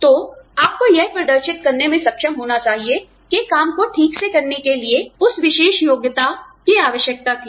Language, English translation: Hindi, So, you should be able to demonstrate that, the particular qualification was required, to carry out the work, properly